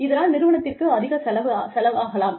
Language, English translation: Tamil, And, that may end up, costing the organization, a lot